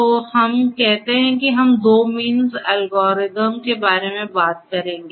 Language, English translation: Hindi, So, let us say that we will talk about the 2 means algorithm